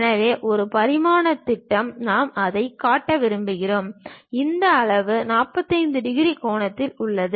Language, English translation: Tamil, So, one dimensional projection if I want to really show it, this scale is at 45 degrees angle